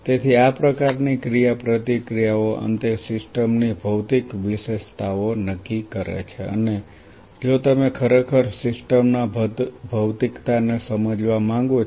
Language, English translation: Gujarati, So, these kinds of interactions eventually determine much of the physiological highlights of the system and if you really want to understand the physiology of the system